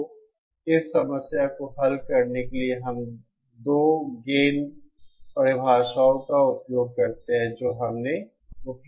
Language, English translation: Hindi, So to get around this problem, we use the other 2 gain definitions that we have used